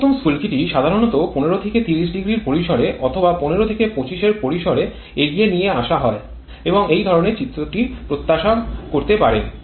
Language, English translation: Bengali, Optimum spark is advanced generally in the range of 15 to 30 degree maybe in the range of 15 to 25 and this is the kind of diagram that you may expect